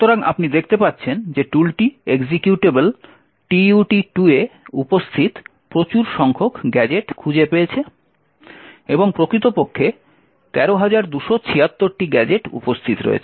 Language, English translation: Bengali, So, as you see the tool has found a large number of gadgets present in the executable tutorial 2 and in fact there are like 13,276 gadgets that are present